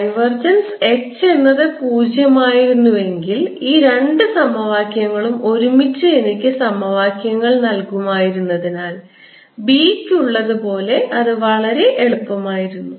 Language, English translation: Malayalam, if divergence of h was zero, then it would have been very easy, because these two equations together would have given me equations which are there for b: curl of b is equal to j and divergence of b is equal to zero